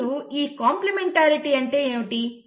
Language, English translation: Telugu, Now what is that complementarity